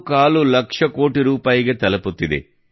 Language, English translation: Kannada, 25 lakh crore rupees